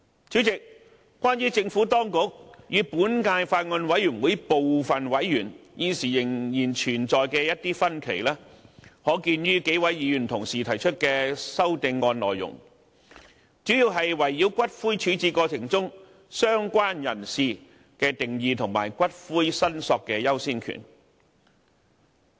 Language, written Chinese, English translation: Cantonese, 主席，關於政府當局與本屆法案委員會部分委員現時仍然存在的一些分歧，可見於數位議員提出的修正案內容，主要是圍繞骨灰處置過程中"相關人士"的定義及骨灰申索的優先權。, President the divergent views between the Administration and some members of the Bills Committee of this term are reflected in the CSAs proposed by some Members . The differences are mainly related to the definition of related person and the priority of claim for the return of ashes in the process of disposing ashes